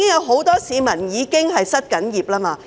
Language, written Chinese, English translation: Cantonese, 很多市民已經失業。, Many people are now unemployed